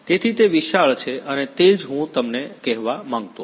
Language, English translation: Gujarati, So, it is huge and that is what I wanted to tell you